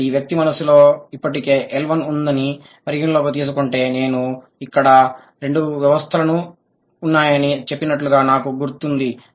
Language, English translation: Telugu, So, that means considering the person has already an L1 in the mind, there are, remember I told there are two systems